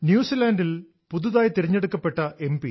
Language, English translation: Malayalam, Newly elected MP in New Zealand Dr